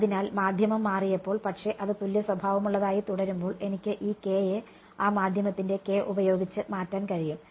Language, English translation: Malayalam, So, when the medium changed, but it remained homogenous then I could replace this k by the k of that medium